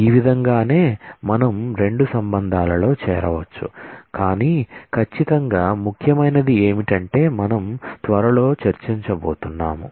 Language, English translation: Telugu, This is this is how we can join 2 relations, but certainly what is a important is something which we will discuss shortly